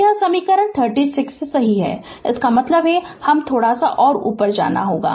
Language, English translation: Hindi, So, this is equation 36 right; that means let me move little bit up